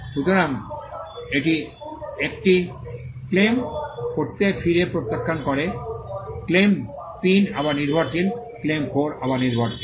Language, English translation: Bengali, So, it refers it back to claim 1, claim 3 is again dependent, claim 4 is again dependent